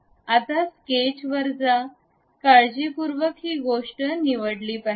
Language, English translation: Marathi, Now, go to sketch, we have to carefully select this thing ok